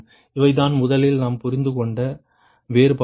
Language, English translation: Tamil, these are the differences initially we got right